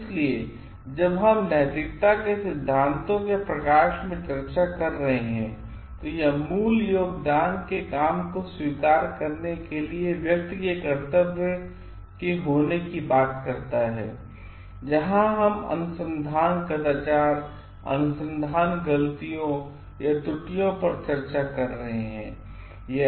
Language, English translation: Hindi, So, when we are discussing in light of the ethics theories, it talks of more of the duty of the person to acknowledge the work of the original contributor where we are discussing research misconduct, research mistakes or errors